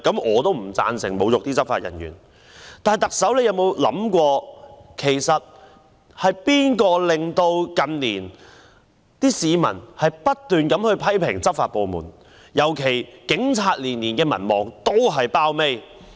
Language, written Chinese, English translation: Cantonese, 我也不贊成侮辱執法人員，但特首有否想過，是誰令市民近年不斷批評執法部門，尤其令警察的民望每年都墊底呢？, I also do not support insulting law enforcement officers . However has the Chief Executive ever considered why members of the public have in recent years incessantly criticized law enforcement agencies in particular why the popularity rating of the Police is the lowest each year?